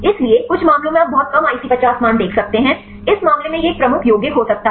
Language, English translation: Hindi, So, the some of the cases you could see very a less IC50 values; in this case it could be a lead compounds